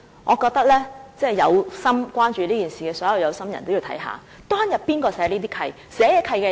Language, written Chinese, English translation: Cantonese, 我覺得所有關注這件事的有心人也得看看當日是由誰訂定這些契約？, I think all parties who are concerned about this matter have to look at who drew up those leases back then